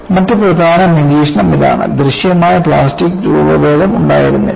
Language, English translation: Malayalam, The other significant observation is no visible plastic deformation was observed